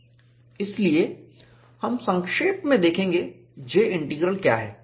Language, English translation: Hindi, So, we will see, in a summary, what is J Integral